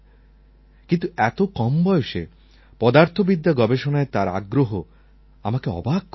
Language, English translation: Bengali, At such a young age I saw that he was interested in research in the field of Physics